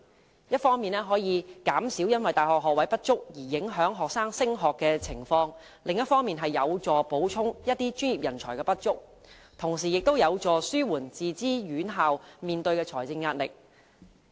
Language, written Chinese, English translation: Cantonese, 此舉一方面可以減少因大學學位不足而影響學生升學的情況，另一方面則有助補充某些專業人才的不足，同時亦有助紓緩自資院校面對的財政壓力。, The proposal will reduce the number of students affected by the shortage of university places and relieve the shortage of professional manpower as well as alleviating the financial pressure borne by self - financed institutions